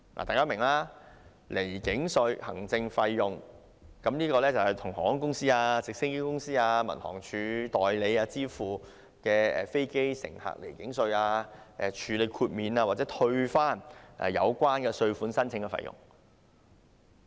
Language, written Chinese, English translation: Cantonese, 大家明白，離境稅行政費用，用以向航空公司、直升機公司和民航處代理支付代收飛機乘客離境稅、處理豁免及退回有關稅款申請的費用。, We know that air passenger departure tax administration fees is the payment to airlines helicopter companies and the Civil Aviation Departments agent for their collection of air passenger departure tax and the processing of exemption and refund applications related thereto on behalf of the Government